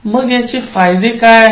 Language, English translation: Marathi, What are the benefits